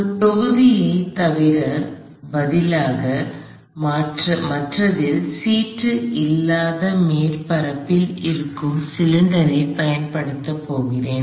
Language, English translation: Tamil, I am going to keep the rest of the system the same, except instead of a block I am going to use a cylinder that is on a surface with no slip